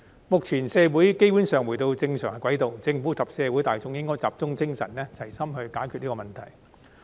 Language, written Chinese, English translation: Cantonese, 目前，社會基本上已回到正常軌道，政府及社會大眾應集中精神，齊心解決這問題。, Now that society has basically been back on track the Government and the general public should zero in on these problems to resolve them in a united spirit